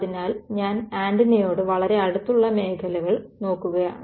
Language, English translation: Malayalam, So, I am looking at regions very close to the antenna right